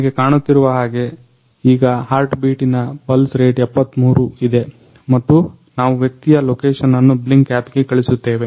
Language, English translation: Kannada, So, you can see the heartbeat pulse is rating 73 right now and now we will send the location of the person on the Blynk app